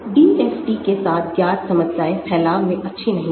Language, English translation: Hindi, Known problems with DFT not good at dispersion